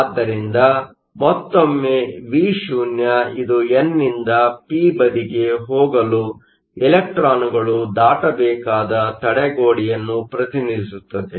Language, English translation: Kannada, So, once again Vo represents the barrier that the electrons have to overcome in order to go from the n to the p side